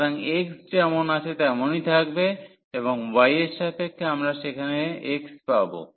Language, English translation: Bengali, So, x remain as it is and with respect to y we will get x there